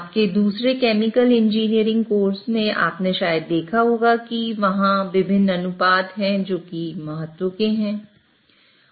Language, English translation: Hindi, Now, in your other chemical engineering courses, you might have seen that there are different ratios which are of importance